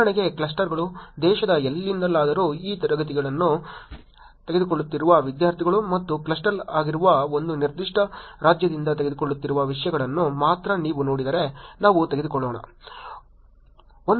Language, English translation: Kannada, Clusters for example, the students who are taking this class from anywhere in the country and let us take if you look at only the students who are taking it from one particular state that would be a cluster